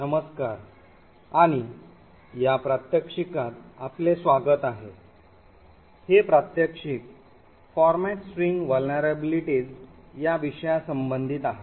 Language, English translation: Marathi, Hello and welcome to this demonstration, this demonstration is also about format string vulnerabilities